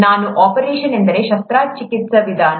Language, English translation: Kannada, What I mean by an operation is a surgical procedure